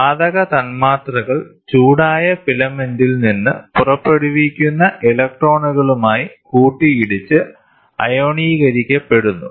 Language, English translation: Malayalam, The gas molecules collide with the electrons emitted from the heated filament and becomes ionized